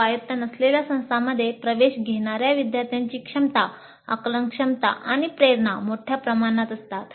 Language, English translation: Marathi, The students entering non autonomous institutions have widely varying competencies, cognitive abilities and motivations